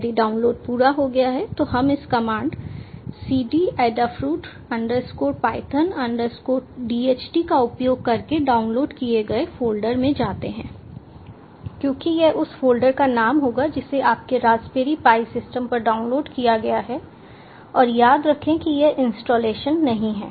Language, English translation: Hindi, once the download is finished, we go to the download at folder by putting in this command: cd adafruit, underscore python, underscore dht, because this will be the name of the folder which has been downloaded on your raspberry pi system